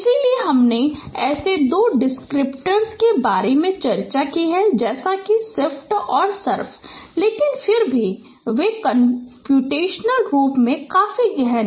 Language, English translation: Hindi, So we discussed about two such descriptors like shift and surf but still they are computationally quite intensive